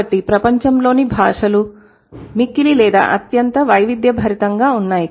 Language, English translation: Telugu, So, the languages of the world, they are extremely or hugely diverse, right